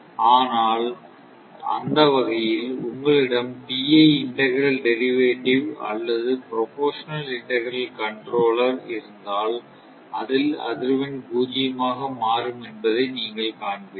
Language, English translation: Tamil, So, though those things, but in that case, if you is PI, your integral; integral derivative or your proportional integral controller, you will find frequency will become zero